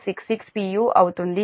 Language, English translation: Telugu, this part is a